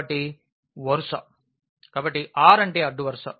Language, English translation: Telugu, So, R means the row